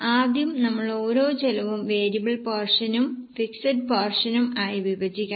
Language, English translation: Malayalam, First of all, we will have to divide each cost into variable portion and fixed portion